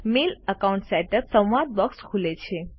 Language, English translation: Gujarati, The Mail Account Setup dialogue box opens